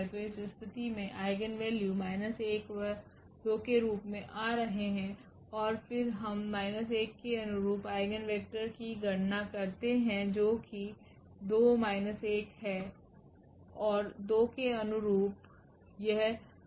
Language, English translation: Hindi, So, in this case the eigenvalues are coming to be minus 1 and 2 and then we compute the eigenvectors corresponding to minus 1 it is 2 1 and corresponding to 2 it is coming as 4 1